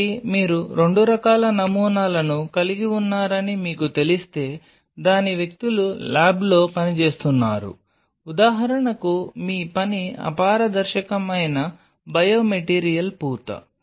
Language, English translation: Telugu, So, if you know that you have 2 kind of samples its people working in the lab one which will be say for example, your work some kind of biomaterial coating which is opaque